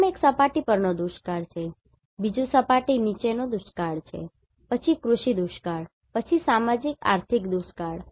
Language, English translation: Gujarati, First one is surface water drought; second one is groundwater drought, then agriculture drought, then socio economic drought